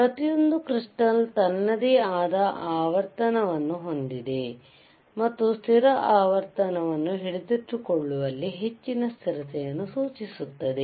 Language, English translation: Kannada, Each crystal has itshis own frequency and implies greater stability in holding the constant frequency